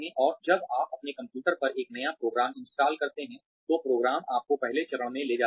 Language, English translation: Hindi, And, when you install a new program on your computer, the program itself takes you through, the first few steps